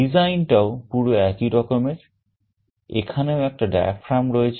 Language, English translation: Bengali, The design is very similar; here also there is a diaphragm